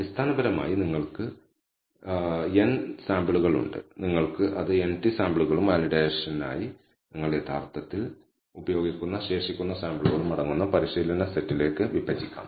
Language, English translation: Malayalam, So, essentially we have n samples and you can divide it to a training set con consisting of n t samples and the remaining samples you actually use for validation